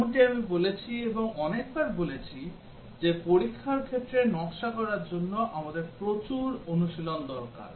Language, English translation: Bengali, As I said and having telling many times that for designing test cases, we need lots of practise